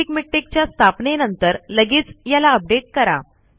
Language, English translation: Marathi, As soon as installing the basic miktex, update it